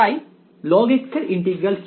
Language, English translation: Bengali, So, what is the integral of log x